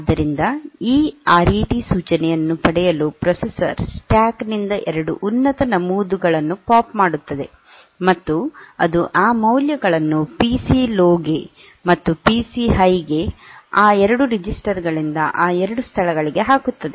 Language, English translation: Kannada, So, getting this RET instruction the processor will POP out from the stack the 2 topmost entries, and it will put those values into the PC low and PC high those 2 locations though those 2 registers